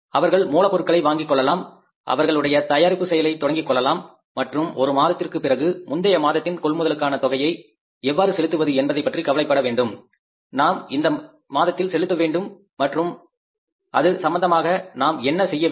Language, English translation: Tamil, They can buy the raw material, their manufacturing process will start and after one month they have to bother about that how much we purchased in the previous month we have to pay in the current month